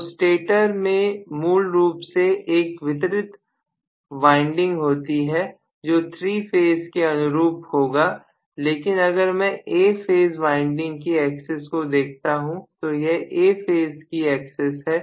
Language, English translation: Hindi, So the stator basically has a distributed winding which will correspond to 3 phases but if I look at axis of A phase winding may be this is the axis of A phase winding, A phase axis